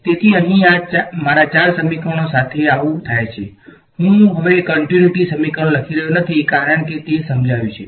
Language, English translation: Gujarati, So, that is what happens to my four equations over here, I am not writing the continuity equation anymore because its understood